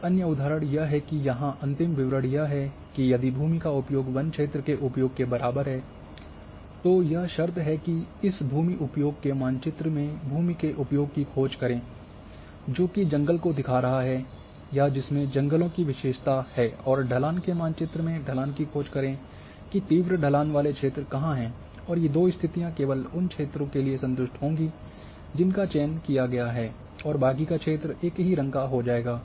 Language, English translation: Hindi, Another example the real one example is that here of end statement is that that if here the land use equal to forest the condition is that a in this land use map search the land use which is showing the forest or which is having attribute forest and in slope map search the slope which are having steep slopes and when these two conditions will satisfy only for those areas the selection has been done, and rest areas are getting one single colour